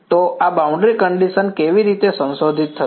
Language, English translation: Gujarati, So, how will this boundary condition get modified